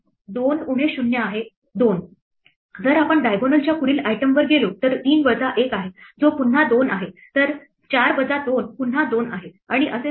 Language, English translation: Marathi, 2 minus 0 is 2, if we go to the next item of the diagonal is 3 minus 1 which is again 2 then 4 minus 2 is again 2 and so on